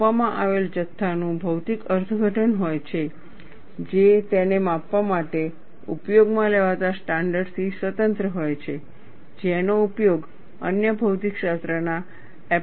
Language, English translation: Gujarati, The quantity measured has a physical interpretation, independent of the standard used to measure it, that can be used in other physics applications